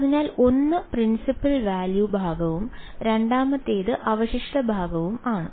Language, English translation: Malayalam, So, one is the principal value part and the second is the residue part right